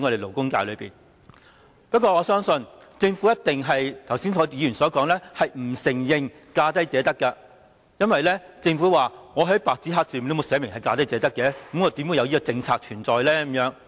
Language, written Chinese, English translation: Cantonese, 不過，正如議員剛才所說，我相信政府一定不承認奉行"價低者得"原則，因為政府說沒有白紙黑字寫明"價低者得"，何來有這個政策存在。, Nevertheless as Members have just said I believe the Government will definitely not admit that it upholds the lowest bid wins principle . As the Government said the lowest bid wins principle is not in black and white so this policy does not exist